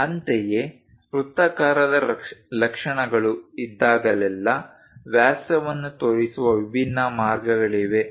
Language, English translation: Kannada, Similarly, whenever circular features are there, there are different ways of showing diameter